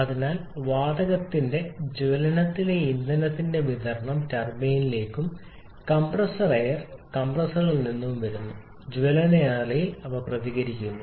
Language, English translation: Malayalam, So, a supply in the field in the combustion of the gas turbine compressor is coming from the compressor